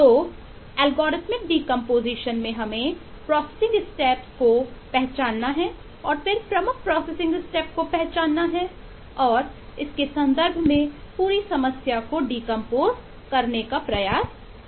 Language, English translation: Hindi, if have done an algorithmic decomposition, then we all know how the problem get solved